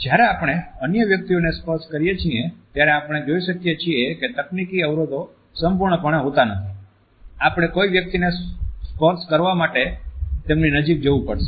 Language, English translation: Gujarati, When we touch other persons, we find that the technological barriers are absolutely absent, we have to move close to a person and establish a touch